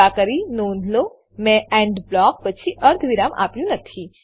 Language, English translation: Gujarati, Please note, I have not given the semicolon after the END block